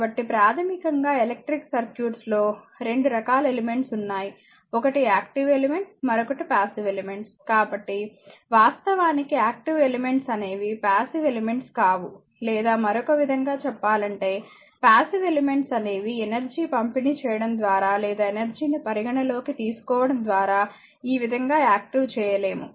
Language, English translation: Telugu, So, basically there are 2 types of elements found in electric circuit one is active element, another is passive elements, actually active elements are those, which are not passive or in the other way passive elements are those we cannot active something like this right, by considering the energy delivered to or by them right